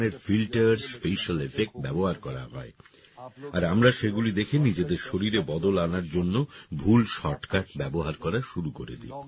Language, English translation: Bengali, Many types of filters and special effects are used and after seeing them, we start using wrong shortcuts to change our body